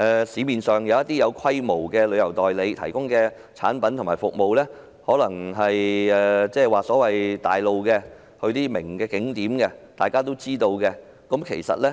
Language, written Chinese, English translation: Cantonese, 市面上一些具規模旅行代理商提供的產品和服務，行程可能是前往一些大眾化、人所皆知的著名景點。, Regarding the tourism products and services provided by some large - scale travel agents in the market they may include visiting some popular and famous scenic spots that are known to all